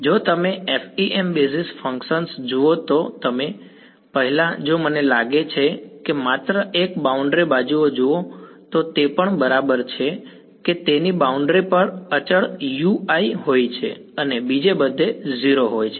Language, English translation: Gujarati, If you look at the FEM basis functions they also if I think look at just a boundary edges it is also like that right it has a constant U i on the boundary and its 0 everywhere else